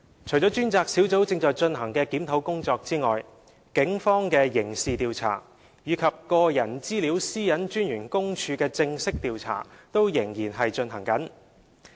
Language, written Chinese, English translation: Cantonese, 除專責小組正進行的檢討工作外，警方的刑事調查，以及個人資料私隱專員公署的正式調查均仍在進行中。, Apart from the review by the Task Force a criminal investigation by the Police and a formal investigation by the Office of the Privacy Commissioner for Personal Data PCPD are also in progress